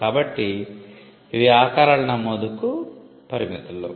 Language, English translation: Telugu, So, these are limits to the registration of shapes